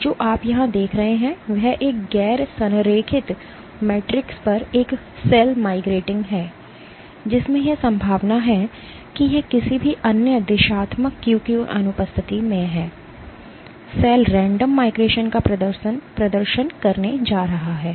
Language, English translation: Hindi, And what you see here is a cell migrating on a Non aligned Matrix in which it is likely that it has in the absence of any other directional cue, the cell is going to exhibit Random migration